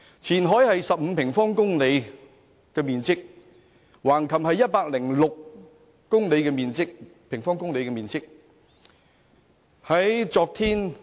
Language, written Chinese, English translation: Cantonese, 前海面積是15平方公里，橫琴面積是106平方公里。, Qianhai covers an area of 15 sq km while Hengqin occupies a 106 - sq km area